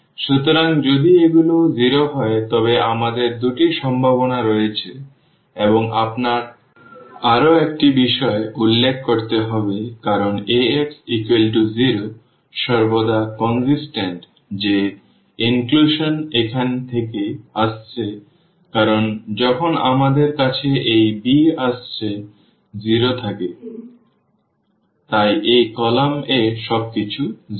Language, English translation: Bengali, So, if these are 0 then we have two possibilities and you have one more point to be noted because Ax is equal to 0 is always consistent that is the inclusion coming from here because when we have this b is 0, so, this right this column everything is 0